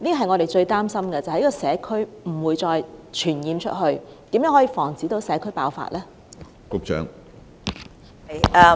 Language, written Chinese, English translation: Cantonese, 我們最擔心的是疫症在社區傳播，如何防止社區爆發呢？, We are most anxious about the spreading of the disease in the community . How can a community outbreak be prevented?